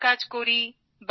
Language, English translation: Bengali, I do housework